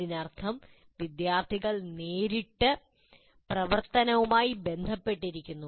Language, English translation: Malayalam, That means students are part of that, they are directly engaged with the activity